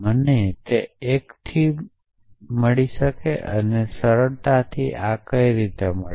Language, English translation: Gujarati, I got it from one and simplification how did I get this